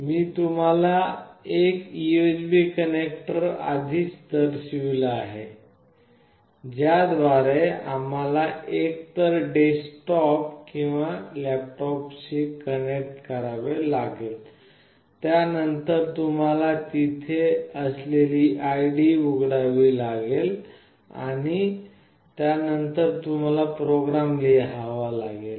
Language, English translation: Marathi, I have already shown you the USB connector through which you have to connect to either a desktop or a laptop, then you have to open the id that is there and then you need to write the program